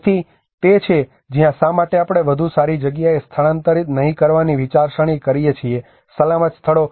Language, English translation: Gujarati, So that is where the thought process of why not we relocate to a better place; a safer places